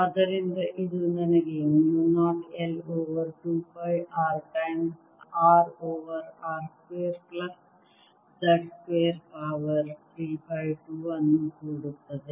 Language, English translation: Kannada, so this gives me mu zero i over four pi times two pi r times r over r square plus z square